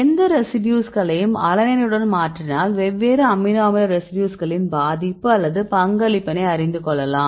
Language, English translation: Tamil, So, if you mutate any residue with alanine you can see the influence or the contribution of different amino acid residues